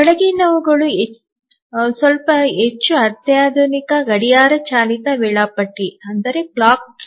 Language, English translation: Kannada, Now let's look at slightly more sophisticated clock driven schedulers